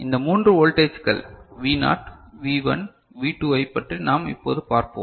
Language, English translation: Tamil, Let us just consider these are 3 voltages V naught, V1, V2 ok